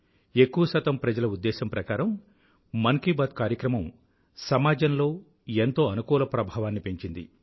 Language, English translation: Telugu, Most people believe that the greatest contribution of 'Mann Ki Baat' has been the enhancement of a feeling of positivity in our society